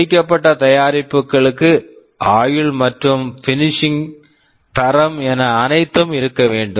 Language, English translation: Tamil, Finished products have to have durability, finishing, quality everything in place